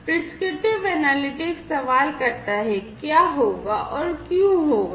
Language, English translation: Hindi, Prescriptive analytics questions, what will happen and why it will happen